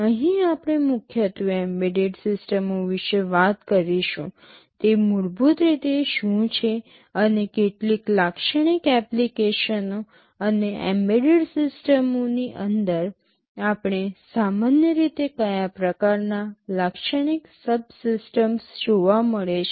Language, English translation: Gujarati, Here we shall be primarily talking about embedded systems, what it is basically and some typical applications, and inside an embedded systems what kind of typical subsystems we normally get to see